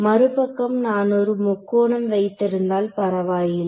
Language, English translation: Tamil, On the other hand if I had a triangle starting from zero, then it is fine ok